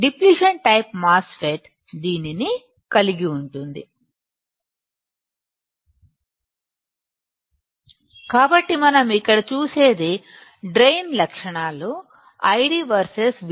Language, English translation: Telugu, Depletion type MOSFET constitutes this So, in this case if I want to draw a drain transfer characteristics, for depletion type MOSFET